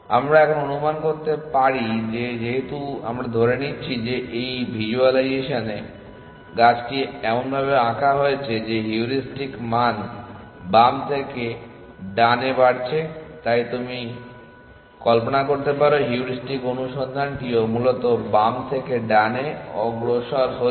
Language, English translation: Bengali, We can now assume that since we assuming that in this visualization the tree is draw in such a that heuristic values are increasing from left to right, so you can imagine the heuristic search also progress from left to right essentially